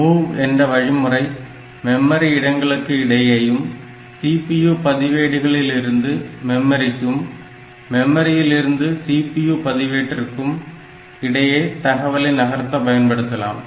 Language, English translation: Tamil, And so, MOV instruction is for between memory locations, and between memory location and from between CPU registers or CPU register and memory